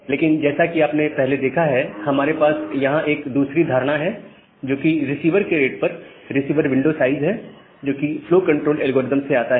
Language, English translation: Hindi, But, as you have seen earlier, we have another notion here, which is the receiver window size at a rate of the receiver, which comes from the flow control algorithm